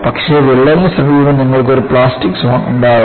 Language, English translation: Malayalam, But, near the crack you will have a plastic zone